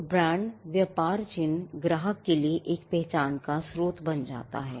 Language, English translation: Hindi, So, the brand, the trade mark becomes a source of identity for the customer